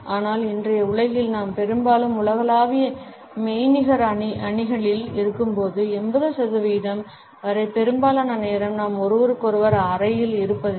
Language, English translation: Tamil, But in today’s world, when we are often in global virtual teams most of the time up to 80 percent of the time we are not in the room with one another anymore